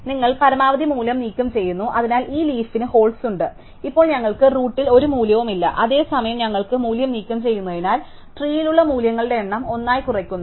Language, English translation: Malayalam, So, let say you remove the maximum value, so then this leaves us with a hole, we do not have any value at the root now, at the same time because we have removed the value we have reduce the number of values in the tree by one